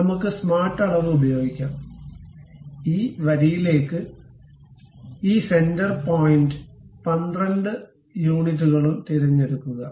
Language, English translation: Malayalam, Let us use smart dimension, pick this center point to this line also 12 units